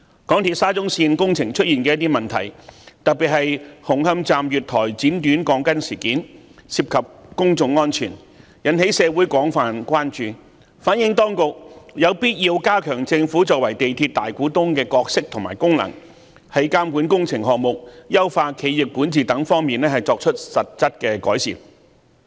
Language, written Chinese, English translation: Cantonese, 港鐵沙田至中環線工程出現的一些問題，特別是紅磡站月台剪短鋼筋事件涉及公眾安全，引起社會廣泛關注，反映當局有必要加強政府作為港鐵公司大股東的角色和功能，在監管工程項目、優化企業管治等方面作出實質的改善。, Some problems with the works of the Shatin to Central Link SCL project undertaken by MTRCL especially the incident involving steel reinforcement bars being cut short at the platform of Hung Hom Station which has public safety implications have aroused widespread concern in the community pointing to the need for the Government to strengthen its role and functions as the majority shareholder of MTRCL in order to bring about concrete improvements in such areas as supervision of works and corporate governance